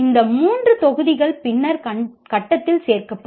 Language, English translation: Tamil, These three modules will be added at a later stage